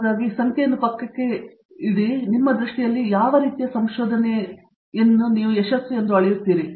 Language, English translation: Kannada, But, forgetting setting aside numbers, in your view in what way would you measure success in research